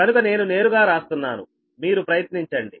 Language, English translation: Telugu, so i am writing directly, you try